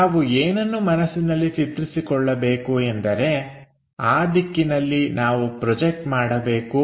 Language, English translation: Kannada, So, what we have to visualize is, in that direction we have to really project